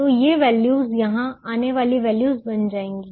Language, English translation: Hindi, so this values will become the, the values that come here